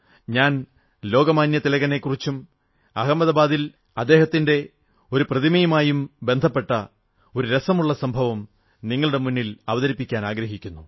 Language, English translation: Malayalam, I want to narrate an interesting incident to the countrymen which is connected with Lok Manya Tilak and his statue in Ahmedabad